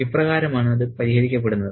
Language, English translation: Malayalam, This is how it is resolved